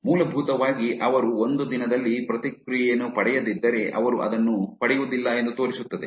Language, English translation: Kannada, Basically, shows that if they do not get a response in one day they do not get it